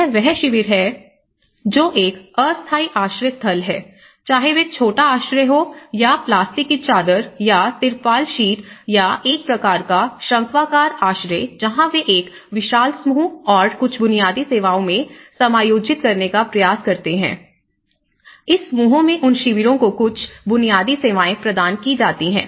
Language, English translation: Hindi, So, what you can see is this camps which are being a temporary shelters whether it is the Pygmy kind of shelters or a kind of conical shelters with the plastic sheet or the tarpaulin sheets where they try to accommodate in a huge groups and some basic services have been provided in those camps in this clusters